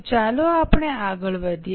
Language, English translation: Gujarati, Okay, so let us go ahead